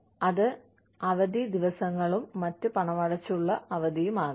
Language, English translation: Malayalam, It could be holidays, and other paid time off